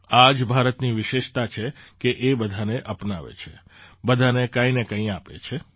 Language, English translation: Gujarati, This is the specialty of India that she accepts everyone, gives something or the other to everyone